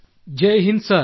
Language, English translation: Kannada, Jai Hind Sir